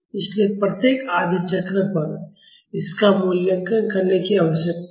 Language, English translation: Hindi, So, this needs to be evaluated at each half cycle